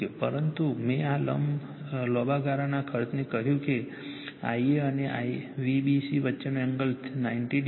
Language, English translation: Gujarati, But I told you this long run cost that angle between I a and V b c is 90 degree minus theta